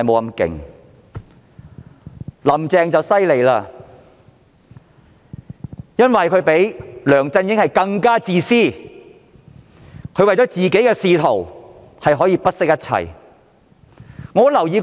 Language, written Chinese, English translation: Cantonese, 然而，"林鄭"卻厲害了，因為她比梁振英更自私，為了自己的仕途可以不惜一切。, Since she is even more selfish than LEUNG Chun - ying she will advance her political career at all costs